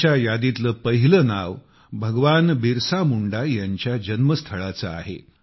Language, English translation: Marathi, The first name on his list is that of the birthplace of Bhagwan Birsa Munda